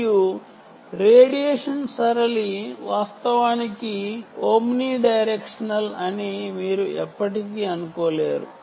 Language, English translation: Telugu, ok, and radiation pattern: you can never assume that the radiation pattern, indeed, is omni directional